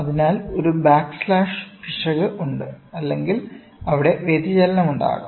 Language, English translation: Malayalam, So, there is a backlash error or there can be deflection which is there